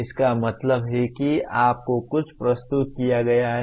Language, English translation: Hindi, That means something is presented to you